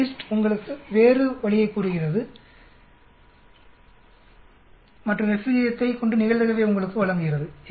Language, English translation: Tamil, FDIST tells you the other way and gives you the probability, given the F ratio